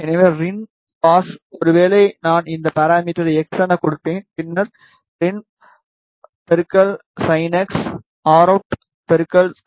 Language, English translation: Tamil, So, rin cos maybe again I will give this parameter as x, then rin into sin x, rout cos x, rout sin x